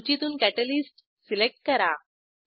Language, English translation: Marathi, Select Catalyst from the list